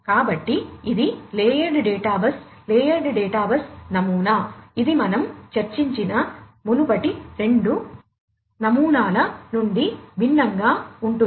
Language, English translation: Telugu, So, this is the layered data bus layered data bus pattern, which is different from the previous two patterns that we have just discussed